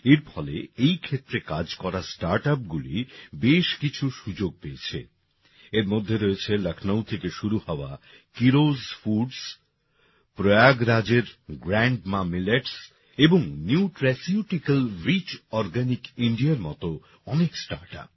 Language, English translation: Bengali, This has given a lot of opportunities to the startups working in this field; these include many startups like 'Keeros Foods' started from Lucknow, 'GrandMaa Millets' of Prayagraj and 'Nutraceutical Rich Organic India'